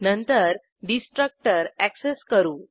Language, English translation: Marathi, Then we access the destructor